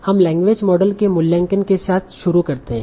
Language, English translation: Hindi, So we start with the evaluation of language models